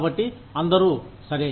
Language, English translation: Telugu, So, everybody is okay